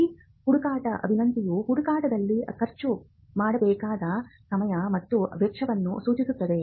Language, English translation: Kannada, And this search request would indicate what is the time and cost that has to be expended in the search